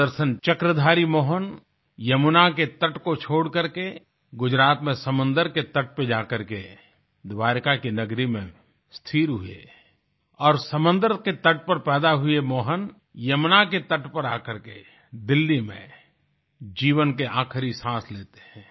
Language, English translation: Hindi, The Sudarshan Chakra bearing Mohan left the banks of the Yamuna for the sea beach of Gujarat, establishing himself in the city of Dwarika, while the Mohan born on the sea beach reached the banks of the Yamuna, breathing his last in Delhi